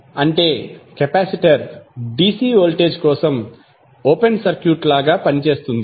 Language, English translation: Telugu, That means the capacitor acts like an open circuit for dC voltage